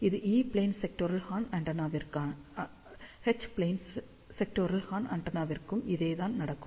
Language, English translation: Tamil, This is for E plane sectoral horn, same thing will happen for H plane sectoral horn antenna